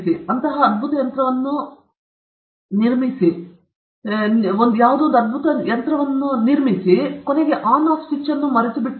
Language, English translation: Kannada, They built a such a wonderful machine, but they forgot the On Off switch